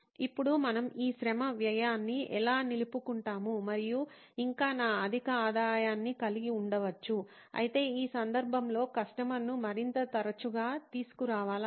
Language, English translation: Telugu, Now how might we retain this labour cost and yet have my high revenue, yet bring the customer more often in this case